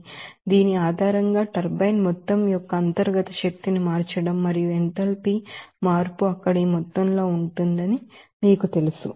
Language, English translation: Telugu, So, turbine based on this, you know problem that changing that internal energy of this amount and change of enthalpy will be of this amount there